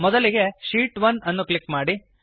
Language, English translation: Kannada, First, let us click on sheet 1